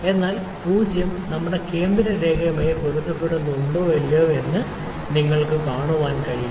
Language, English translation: Malayalam, So, can you see that the 0 is exactly coinciding with our central line or not